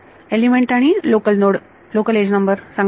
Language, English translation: Marathi, Say element a and local node the local edge number what